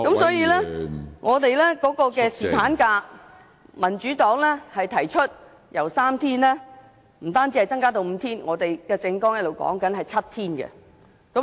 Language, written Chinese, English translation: Cantonese, 所以，民主黨提出侍產假不止由3天增至5天，我們的政網提倡7天侍產假。, The Democratic Party advocates that the paternity leave duration should be extended from three days to not five days but seven days